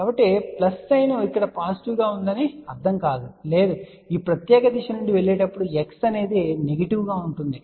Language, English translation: Telugu, So, plus sign does not mean over here that it is going to be positive, no, x is negative when you are going from this particular direction